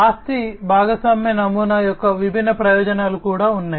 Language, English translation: Telugu, There are different advantages of the asset sharing model as well